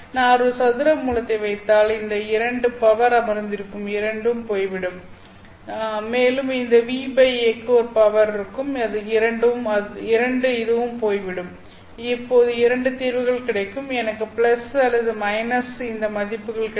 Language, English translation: Tamil, If I put a square root this two which is sitting in the power will go away and this new by A will also have a power which is two that will also go away except that I now get two solutions